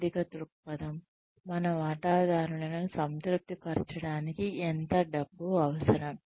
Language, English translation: Telugu, There is a financial perspective, how much money do we need to satisfy our shareholders